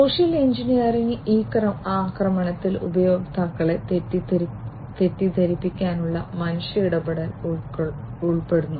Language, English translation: Malayalam, Social engineering, this attack involves human interaction to mislead the users